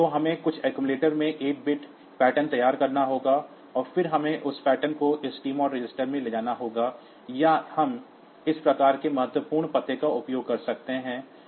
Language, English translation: Hindi, So, we have to prepare the 8 bit pattern in some accumulator, and then we have to move that pattern to this TMOD register, or we can use this type of absolute addressing